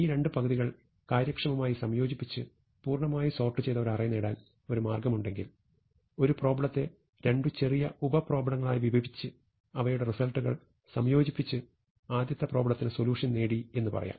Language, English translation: Malayalam, Now if there is a way to combine the two halves efficiently to get a fully sorted array, then we can say that we have achieved the sorting by breaking it up into two smaller sub problems and combining the result